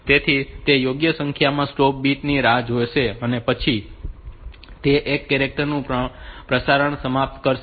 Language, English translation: Gujarati, So, it will wait for the appropriate number of stop bits and then that will end the transmission of one character